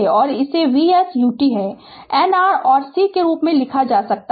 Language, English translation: Hindi, And it can be written as V s u t then R and C